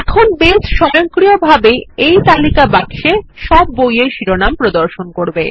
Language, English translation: Bengali, Now Base will automatically display all the Book titles in this List box